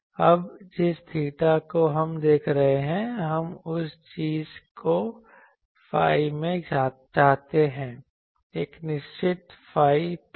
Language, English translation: Hindi, Now, theta can suppose we are looking at that we want the thing that in the phi a fixed phi plane